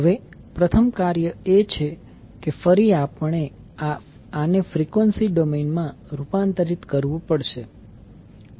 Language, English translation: Gujarati, Now first task is that again we have to transform this into frequency domain